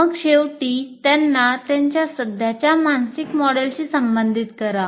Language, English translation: Marathi, And then finally relate them to their existing mental mode